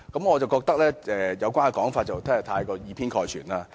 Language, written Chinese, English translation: Cantonese, 我覺得這個說法過於以偏概全。, I find such a remark an over generalization